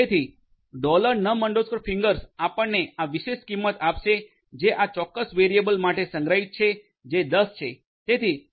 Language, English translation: Gujarati, So, dollar number toes will give you this particular value that is stored for this particular variable which is 10